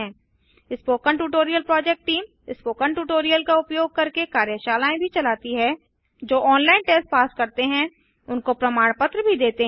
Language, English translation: Hindi, The spoken tutorial project team conducts workshops using spoken tutorials, gives certificates to those who pass an online test